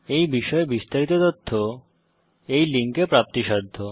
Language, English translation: Bengali, More information on this Mission is available at the following link